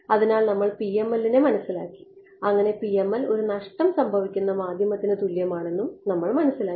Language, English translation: Malayalam, So, we have understood PML and we have understood that the PML is the same as a lossy media